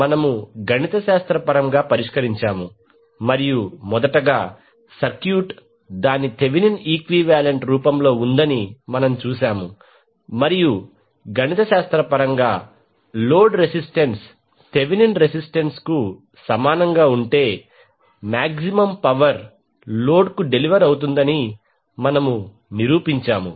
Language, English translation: Telugu, We solved mathematically and saw that the first the circuit is represented by its Thevenin equivalent and then mathematically we prove that maximum power would be deliver to the load, if load resistance is equal to Thevenin resistance